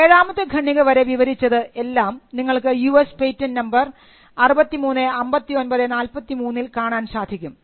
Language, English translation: Malayalam, So, till para 7, what was described was and you can see here US patent number 635943